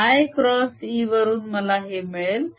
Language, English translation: Marathi, i cross e gives me that